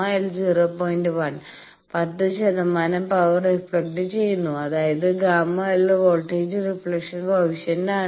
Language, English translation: Malayalam, 1, 10 percent power is reflected you see this is gamma L is the voltage reflection coefficient